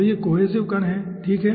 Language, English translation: Hindi, so this is cohesive particles